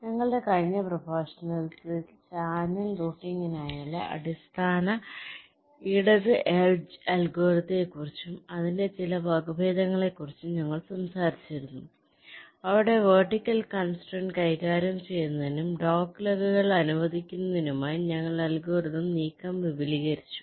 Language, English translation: Malayalam, so in our last lecture, if we recall, we had talked about the basic left edge algorithm for channel routing and some of its variants, where we extended the algorithm move to handle the vertical constraint and also to allow for the dog legs